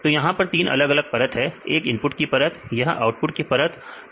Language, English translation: Hindi, So, here they have three different layers one is the input layer and this is the output layer